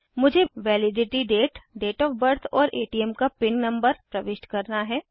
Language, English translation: Hindi, I need to enter the validity date , Date Of Birth and then my ATM pin number